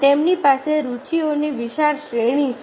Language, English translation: Gujarati, they have wide range of interest